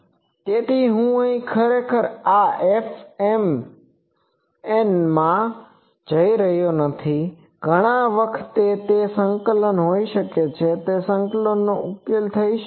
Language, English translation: Gujarati, So, now I am not going here actually in this F mn there is an integration in many times, that integration can be solved